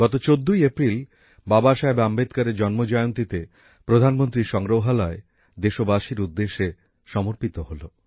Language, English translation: Bengali, On this 14th April, the birth anniversary of Babasaheb Ambedkar, the Pradhanmantri Sangrahalaya was dedicated to the nation